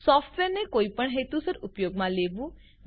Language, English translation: Gujarati, Use the software for any purpose